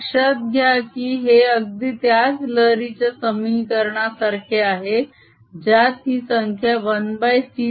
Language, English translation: Marathi, notice that this is exactly like the wave equation, with this quantity here being one over c square right